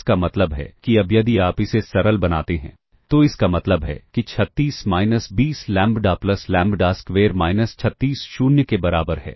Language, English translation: Hindi, Now if you simplify this, this implies 36 minus 20 lambda plus lambda square minus 36 equal to 0